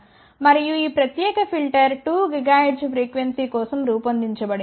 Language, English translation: Telugu, And this particular filter has been designed for a frequency of 2 gigahertz